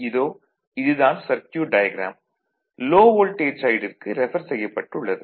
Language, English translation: Tamil, So, based on that we will move so this is the circuit diagram that it is refer to low voltage side